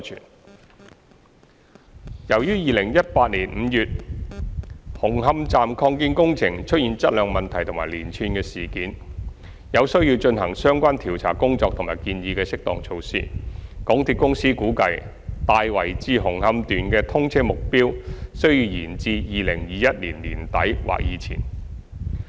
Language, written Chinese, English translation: Cantonese, 三由於2018年5月紅磡站擴建工程出現質量問題及連串事件，有需要進行相關調查工作及建議的適當措施，港鐵公司估計"大圍至紅磡段"的通車目標需延至2021年年底或之前。, 3 Due to the quality issue of works of the Hung Hom Station Extension revealed in May 2018 and the spate of incidents there was a need to conduct relevant investigations and propose suitable measures . MTRCL assessed that the target commissioning date of Tai Wai to Hung Hom Section should be at most deferred to the end of 2021